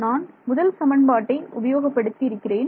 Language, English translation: Tamil, So, the first equation what we write for our first equation